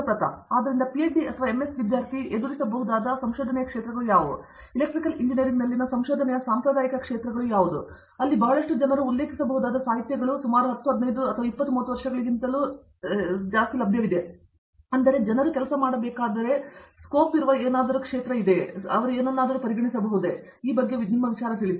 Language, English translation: Kannada, So, are there areas of research that a PhD or an MS student might still encounter, which are considered you know traditional areas of research in Electrical Engineering where there is a lot of literature available that they can refer to and has been around you know, for maybe I don’t know 10 15 years, may be much more than 20 30 years, but still considered something that people have to work on and there is a scope there to work on